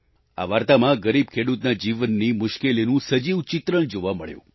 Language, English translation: Gujarati, In this story, the living depiction of the paradoxes in a poor farmer's life is seen